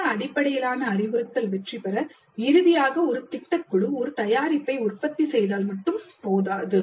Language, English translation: Tamil, For project based instruction to succeed, it is not enough if finally a project produces a product